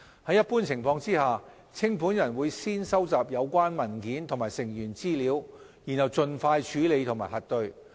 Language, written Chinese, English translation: Cantonese, 在一般情況下，清盤人會先收集有關文件及成員資料，然後盡快處理和核對。, In general the liquidator will first collect the relevant documents and member information and then process and verify such information as soon as practicable